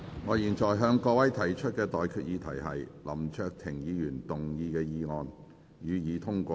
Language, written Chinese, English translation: Cantonese, 我現在向各位提出的待決議題是：林卓廷議員動議的議案，予以通過。, I now put the question to you and that is That the motion moved by Mr LAM Cheuk - ting be passed